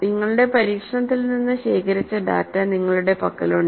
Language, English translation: Malayalam, And you have the data collected from your experiment